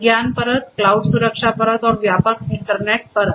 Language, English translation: Hindi, The knowledge layer, the cloud security layer, and the wider internet layer